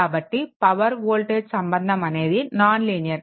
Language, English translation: Telugu, So, power voltage is non linear